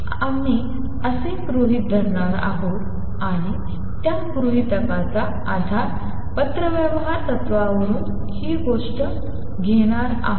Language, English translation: Marathi, We are going to assume that and our basis of that assumption is going to be borrowing this thing from the correspondence principle right